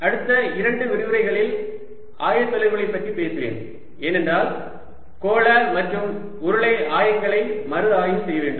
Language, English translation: Tamil, i'll talk about the coordinates in ah next couple of lectures, because ah just to review spherical and cylindrical coordinates